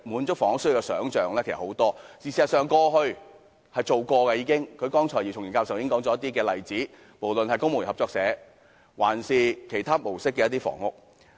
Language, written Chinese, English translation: Cantonese, 事實上，過去也曾做過，剛才姚松炎議員已列舉了一些例子，無論是公務員建屋合作社，還是以其他模式建造的房屋。, In fact some actions had been taken before . Dr YIU Chung - yim has given us some examples such as the properties built by the Civil Servants Co - operative Building Societies or built under other development modes